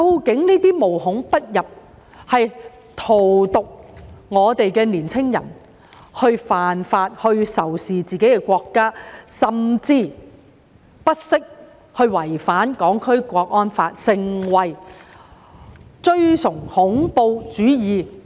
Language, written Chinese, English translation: Cantonese, 這些思潮無孔不入，荼毒年青人，煽動他們犯法、仇視自己的國家，甚至不惜違反《香港國安法》，崇尚恐怖主義。, The influence of these thoughts is pervasive in our community to poison the minds of young people inciting them to break the law adopt a hostile attitude towards their own country and even violate the Hong Kong National Security Law and advocate terrorism